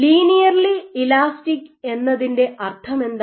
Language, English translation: Malayalam, So, what is the meaning of linearly elastic